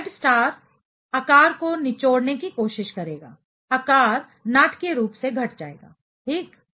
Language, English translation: Hindi, So, the Z star will try to squeeze in kind of the size, the size will decrease dramatically; ok